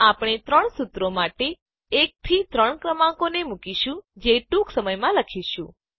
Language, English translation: Gujarati, We will designate numbers 1 to 3 for the three formulae we are going to write shortly